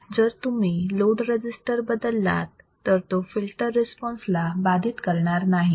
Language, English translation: Marathi, If you change the load resistor, it will not affect the filter response